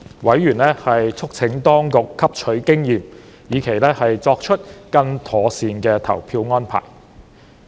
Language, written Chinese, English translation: Cantonese, 委員促請當局汲取經驗，以期作出更妥善的投票安排。, Members urged the authorities to learn from experience with view to making better voting arrangements